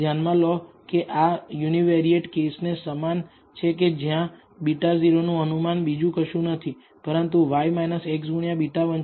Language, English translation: Gujarati, Notice that this is very similar to what we have in the univariate case where it says beta naught estimate is nothing but y bar minus x bar into beta 1